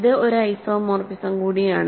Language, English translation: Malayalam, It is also an isomorphism